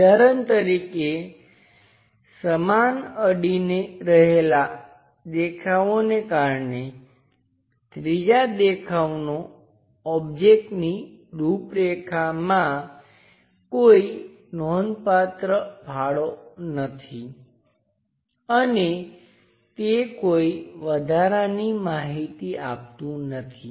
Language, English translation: Gujarati, For example, identical adjacent views exists the third view has no significant contours of the object and it provides no additional information